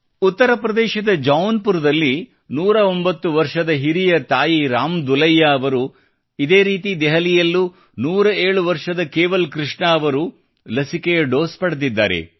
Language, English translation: Kannada, 109 year old elderly mother from Jaunpur UP, Ram Dulaiya ji has taken the vaccination; similarly 107 year old Kewal Krishna ji in Delhi has taken the dose of the vaccine